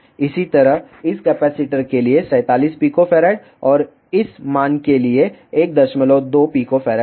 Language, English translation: Hindi, Similarly, for this capacitor 47 Pico farad and for this value was 1